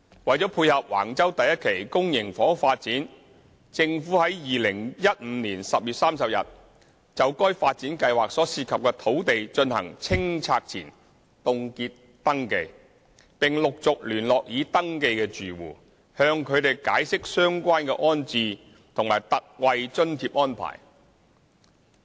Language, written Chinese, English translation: Cantonese, 為配合橫洲第1期公營房屋發展，政府於2015年10月30日就該發展計劃所涉及的土地進行清拆前凍結登記，並陸續聯絡已登記的住戶，向他們解釋相關的安置及特惠津貼安排。, To tie in with the Phase 1 public housing development at Wang Chau the Government conducted a pre - clearance freezing survey in the areas involved in the development project on 30 October 2015 . It gradually contacted the registered households to explain to them the relevant rehousing and ex gratia payment arrangements